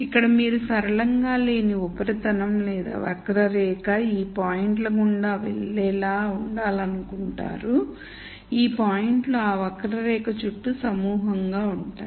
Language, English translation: Telugu, Here you want to have a non linear surface or a curve that goes through these points and these points are clustered around that curve